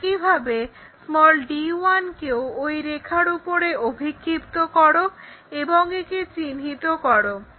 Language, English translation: Bengali, Similarly, project d 1 onto that line locate it